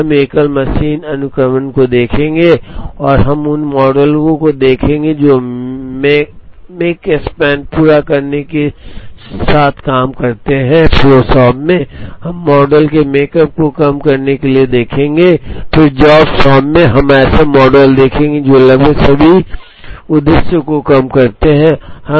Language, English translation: Hindi, So, we would look at single machine sequencing and we would look at models that deal with makespan completion time, in flow shop, we will see models for minimizing makespan and then in the job shop, we will see models that minimize almost all objectives